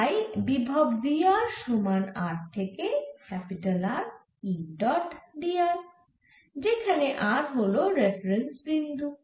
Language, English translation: Bengali, so the potential b r is given by r, two by r to capital r e dot d r where r is the reference point